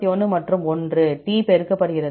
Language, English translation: Tamil, 131 and 1 T, multiplied by